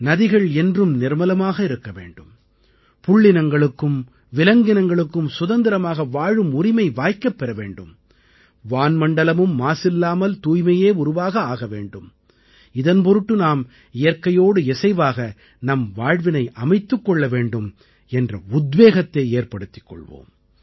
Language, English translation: Tamil, For ensuring that the rivers remain clean, animals and birds have the right to live freely and the sky remains pollution free, we must derive inspiration to live life in harmony with nature